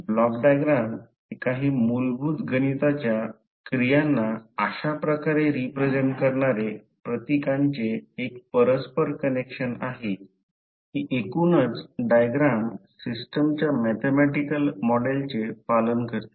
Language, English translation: Marathi, So Block diagram is an interconnection of symbols representing certain basic mathematical operations in such a way that the overall diagram obeys the systems mathematical model